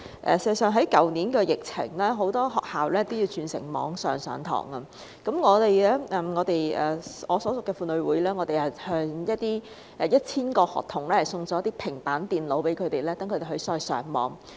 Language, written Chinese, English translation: Cantonese, 事實上，在去年疫情中，很多學校也要轉為網上授課，我所屬的婦女會曾向1000名學童送上平板電腦，讓他們在網上上課。, In fact during the pandemic last year many schools needed to switch to online teaching and our women association had given free tablets to 1 000 students so that they could attend online classes